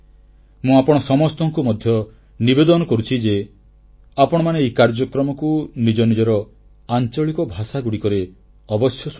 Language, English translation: Odia, I would request all of you also to kindly listen to this programme in your regional language as well